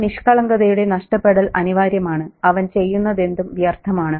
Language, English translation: Malayalam, That loss of innocence, anything he does is futile